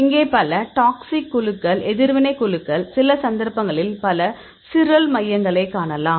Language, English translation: Tamil, So, here are several toxic groups and here you can see several reactive groups; some cases multiple chiral centers